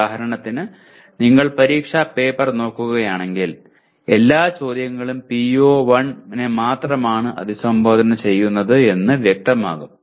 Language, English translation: Malayalam, For example if you look at the examination paper it would be very clear the, all the questions only address PO1